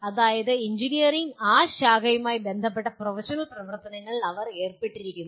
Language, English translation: Malayalam, That means they are involved in professional activities related to that branch of engineering